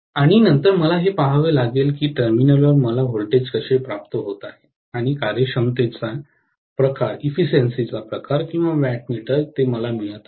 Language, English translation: Marathi, And then I will have to see how I am getting the voltage at the terminal and what is the kind of efficiency or the wattmeter reading that I am getting, right